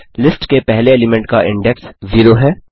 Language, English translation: Hindi, Index of the first element of a list is 0